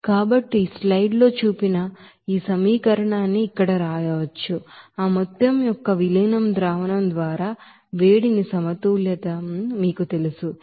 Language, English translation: Telugu, So we can write this equation here shown in the slides to you know balance that heat at its diluted solution of that amount here 280